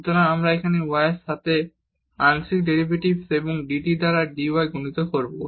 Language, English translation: Bengali, So, we will have here the partial derivative with respect to y and multiplied by dy over dt